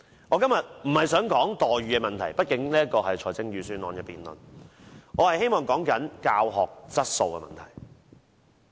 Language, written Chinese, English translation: Cantonese, 我今天不是想說待遇問題，畢竟這是財政預算案的辯論，我希望說的是教學質素問題。, I am not going to talk about our remunerations today . After all this is a debate on the Budget . I wish to talk about the teaching quality